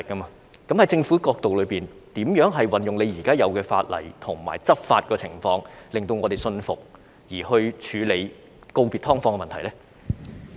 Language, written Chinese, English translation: Cantonese, 從政府的角度，究竟應如何運用現有法例和執法手段，令我們信服當局有切實處理告別"劏房"的問題呢？, From the perspective of the Government how should the existing law and law enforcement measures be applied to convince us that the authorities have practically dealt with issues concerning the need of bidding farewell to subdivided units?